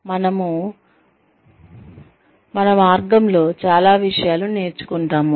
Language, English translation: Telugu, We learn a lot of things along the way